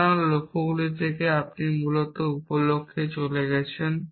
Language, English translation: Bengali, So, from goals you are moving to sub goals essentially